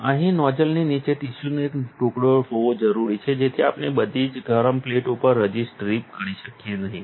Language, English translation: Gujarati, Here, it is important to have a piece of tissue underneath the nozzle so that we do not drip resist all over hot plates